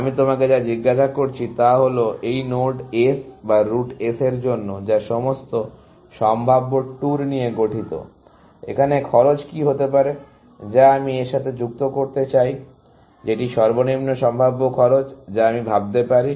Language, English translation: Bengali, What I am asking you is that for this node S or route S, which consist of all possible tours; what would be a cost that I would want to associate with that, which is the lowest possible cost that I can think of, essentially